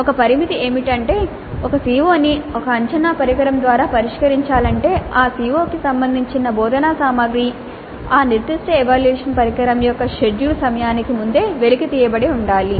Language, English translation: Telugu, So the only constraint is that if a CO is to be addressed by an assessment instrument, the instructional material related to that COO must already have been uncovered, must have been discussed in the class and completed before the scheduled time of that particular assessment instrument